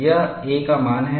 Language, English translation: Hindi, This is the value of a